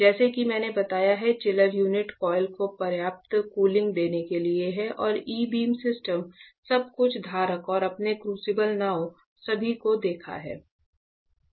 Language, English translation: Hindi, Chiller unit as I have told is for a giving sufficient cooling to the coil and the E beam system everything holder and you saw the crucibles boats and all